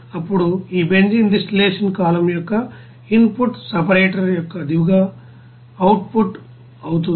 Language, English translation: Telugu, Now in that case, input of this benzene distillation column will be the output of the bottom of the separator